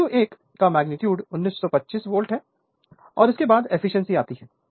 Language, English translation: Hindi, So, magnitude of V 2 1 1925 volt and next is the efficiency